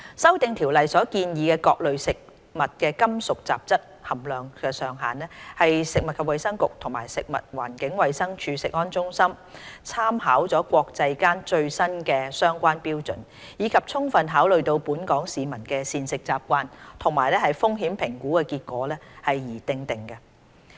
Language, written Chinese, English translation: Cantonese, 《修訂規例》所建議的各類食物的金屬雜質含量上限，是食物及衞生局及食物環境衞生署食物安全中心參考了國際間最新的相關標準，以及充分考慮到本港市民的膳食習慣和風險評估結果而訂定。, The maximum levels for metallic contaminants in various foodstuffs proposed in the Amendment Regulation are established by the Food and Health Bureau and the Centre for Food Safety CFS under the Food and Environmental Hygiene Department after drawing reference from the latest international standards and thorough consideration of the dietary habits of the local population and the results of risk assessment studies